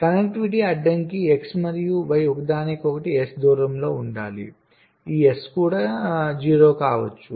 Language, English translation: Telugu, the connectivity constraints says that x and y must be within distance s of each other, this s can be zero also